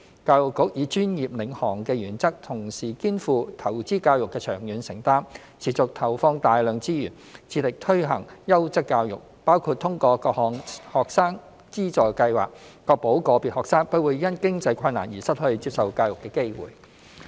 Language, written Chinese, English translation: Cantonese, 教育局以專業領航的原則，同時肩負投資教育的長遠承擔，持續投放大量資源，致力推行優質教育，包括通過各項學生資助計劃確保個別學生不會因經濟困難而失去接受教育的機會。, The Education Bureau will uphold the professional‑led principle and shoulder the long - term commitment to education investment by putting in substantial resources to provide quality education . For instance it has introduced a number of financial assistance schemes for students to ensure that no students will be denied access to education because of lack of means